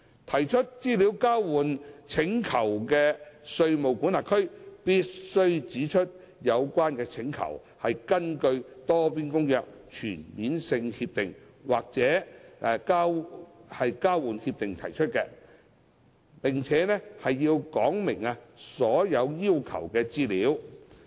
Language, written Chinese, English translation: Cantonese, 提出資料交換請求的稅務管轄區必須指出有關請求，是根據《多邊公約》、全面性協定或交換協定而提出，並且述明所要求的資料。, A jurisdiction when making an EOI request must identify whether the request is made in accordance with the Multilateral Convention a CDTA or TIEA and state the information requested